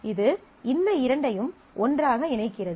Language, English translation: Tamil, This is just putting these two together